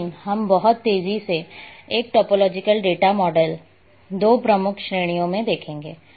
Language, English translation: Hindi, But we will very quickly we will see the two major categories of a topological data models